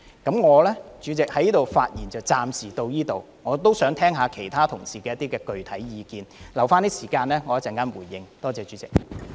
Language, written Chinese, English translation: Cantonese, 代理主席，我的發言暫時到此為止，我也想聽聽其他同事的具體意見，餘下的發言時間，我會留待稍後作回應，多謝代理主席。, I would like to listen to the specific views of other colleagues . As for my remaining speaking time I will save it for my coming reply . Thank you Deputy President